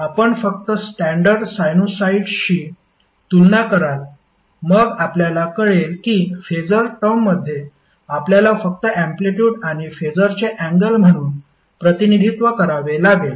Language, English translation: Marathi, Then you will come to know that in phaser term you have to just represent as the amplitude and the phase angle